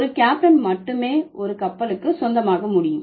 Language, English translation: Tamil, So, a captain can only belong to a ship